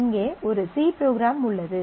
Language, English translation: Tamil, So, here is a C program